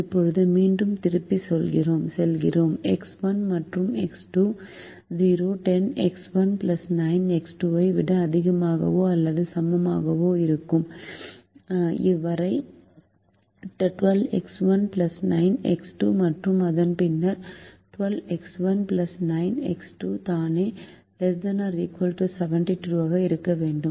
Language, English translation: Tamil, now, again, going back, so long as x one and x two are greater than or equal to zero, ten x one plus nine x two will be less than or equal to twelve x one plus nine x two